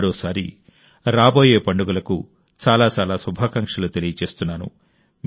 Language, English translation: Telugu, Once again, I extend many best wishes for the upcoming festivals